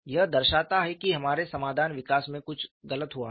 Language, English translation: Hindi, This shows something has gone wrong in our solution development